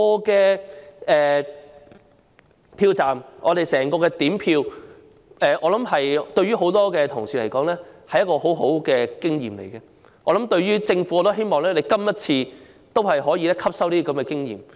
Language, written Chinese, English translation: Cantonese, 在票站點票的整個過程，我想對於很多同事而言，是一個很好的經驗，我亦希望政府今次能夠汲收經驗。, For many colleagues I believe the process of vote counting at polling stations is a very good experience and I hope the Government will learn from the experience too